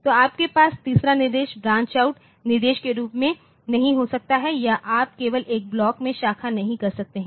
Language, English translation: Hindi, So, you cannot have the third instruction as a branch out instruction or you cannot just branch into a block